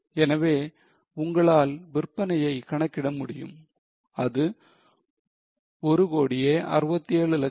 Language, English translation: Tamil, So, you can calculate the sales which is 1,067,000